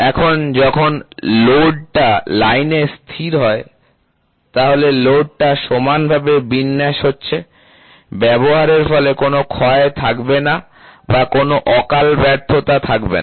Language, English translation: Bengali, Now when the load rests on the line, so the load is getting uniformly distributed, there will not be any wear and tear or there will not be any premature failure